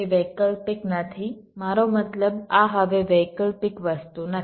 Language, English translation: Gujarati, it is not an optional ah, i means this is not optional thing anymore